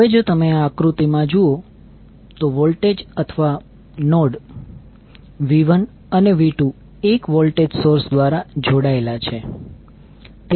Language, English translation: Gujarati, Now if you see this particular figure, the voltage or node, V 1 and V 2 are connected through 1 voltage source